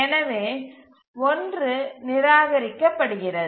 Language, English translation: Tamil, So 1 is ruled out